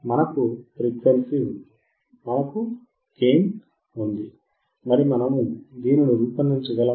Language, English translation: Telugu, We have frequency; we have gain; can we design this